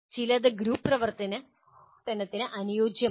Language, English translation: Malayalam, Some are not suitable for group activity